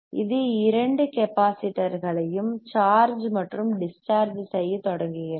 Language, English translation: Tamil, This makes bothmore capacitors to start charging and discharging right